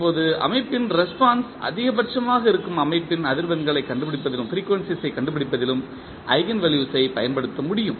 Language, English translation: Tamil, Now, eigenvalues can also be used in finding the frequencies of the system where the system response is maximum